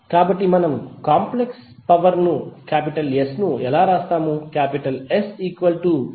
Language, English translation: Telugu, So how we will write complex power S